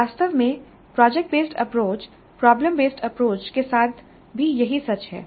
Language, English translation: Hindi, In fact same is too even with product based approach problem based approach